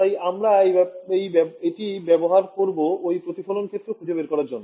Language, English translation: Bengali, Now, we want to use this to find out, what is the reflected field